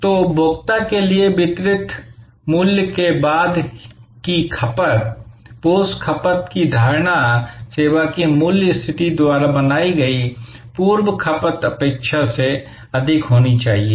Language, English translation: Hindi, So, the post consumption, post consumption perception of value delivered to a consumer must be more than the pre consumption expectation created by the value positioning of the service